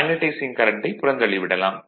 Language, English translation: Tamil, Ignore magnetizing current right